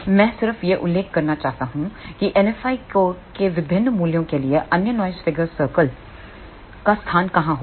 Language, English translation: Hindi, I just want to mention where will be the location of the other noise figure circles for different values of N F i